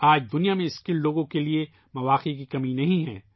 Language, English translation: Urdu, There is no dearth of opportunities for skilled people in the world today